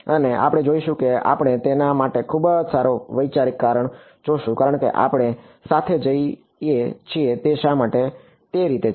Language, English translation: Gujarati, And, we will see that we will see a very good conceptual reason for that as we go along that why is it that way